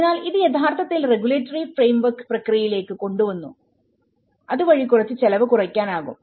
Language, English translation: Malayalam, So, it can actually have you know, brought the regulatory framework into the process so that it can cut down some cost